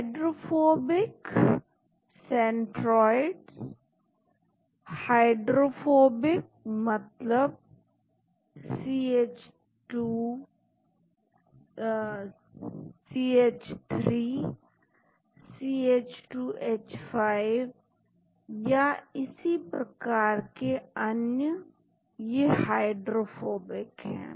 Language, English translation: Hindi, Hydrophobic centroids, hydrophobic means may be CH3 C2H5 and so on these are Hydrophobic